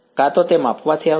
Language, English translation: Gujarati, Either it will come from measurement